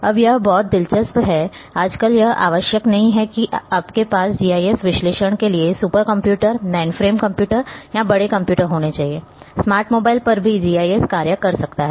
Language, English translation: Hindi, Now, this is very interesting; nowadays, it is not necessary that you should have super computers, mainframe computers or big computers for GIS analysis; even on smart mobiles a basic GIS can function